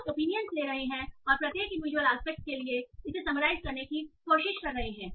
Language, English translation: Hindi, So you are taking opinions and trying to summarize for each individual aspect